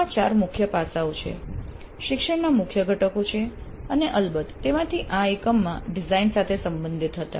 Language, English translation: Gujarati, So these four aspects are the key aspects, key components of teaching and in this we were concerned with design of course in this module